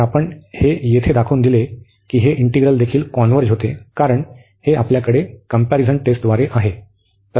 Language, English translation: Marathi, So, what we have shown here that this integral also converges, because this we have by the comparison test